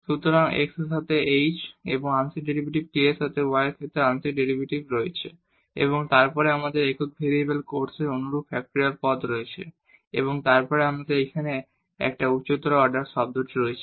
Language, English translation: Bengali, So, h or the partial derivative with respect to x and with k the partial derivative with respect to y and then we have one over factorial terms similar to the single variable case and then here we have this higher order term